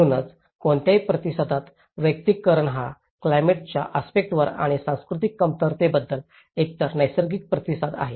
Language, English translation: Marathi, So, that is where in any response personalization is a very natural response to either to climate aspects and as well as the cultural deficiencies